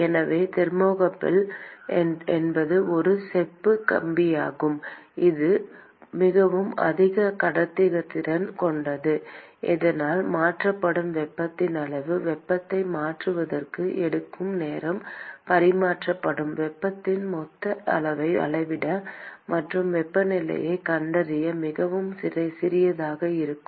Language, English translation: Tamil, So, thermocouple is basically a copper wire which has a very high conductivity so that the amount of heat that is transferred the time it takes for transferring the heat to measure the total amount of heat that is transferred and find the temperature is going to be extremely small